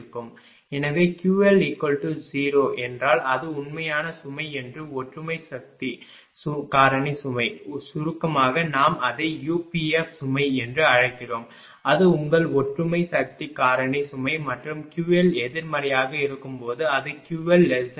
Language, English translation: Tamil, So, and when Q l equal to 0 then Q L zero means it is real load that is unity power factor load so, is in short we call it is UPF load that is your unity power factor load right and when Q L is negative that is Q L is negative less than 0